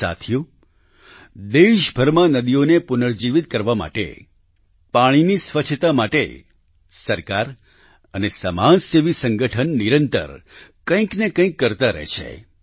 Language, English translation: Gujarati, in order to rejuvenate rivers throughout the country; in order to cleanse waters, the government and social service organizations keep undertaking one endeavour or the other